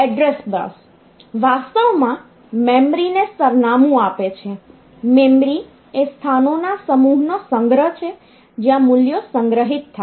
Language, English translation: Gujarati, So, this address bus is actually giving address to the memory that is memory is a collection of set of locations where the values are stored